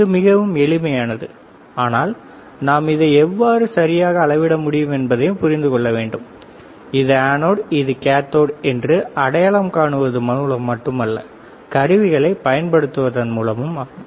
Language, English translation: Tamil, It is simple easy, but we have to also understand how we can measure right, which is anode which is cathode not just by looking at it, but also by using the equipment